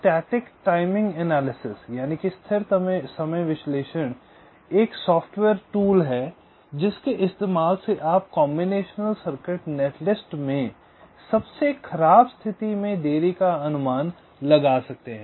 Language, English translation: Hindi, static timing analysis is a software tool using which you can estimate the worst case delays in a combination circuit net list